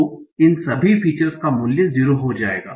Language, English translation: Hindi, So all these features value will become 0